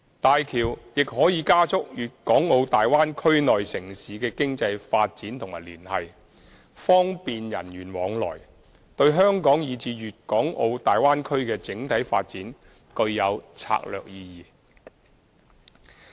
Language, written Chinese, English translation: Cantonese, 大橋亦可以加速粵港澳大灣區內城市的經濟發展和聯繫，方便人員往來，對香港以至粵港澳大灣區的整體發展具有策略意義。, HZMB will boost the economic development and enhance connection within the cities of Guangdong - Hong Kong - Macao Bay Area will facilitate personnel exchange and will bring strategic significance for the development of both Hong Kong and the Bay Area